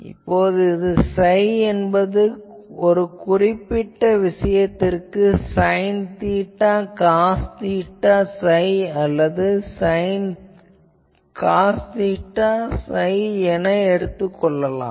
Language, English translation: Tamil, Now, that psi in a particular case, we will take the form of either sin theta cos phi or cos theta something